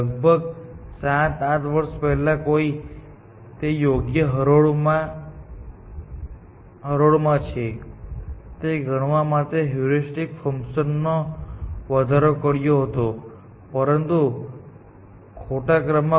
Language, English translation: Gujarati, About 7 to 8 years ago, somebody enhanced the heuristic function to count for such things, that they are in the correct row, but in the wrong order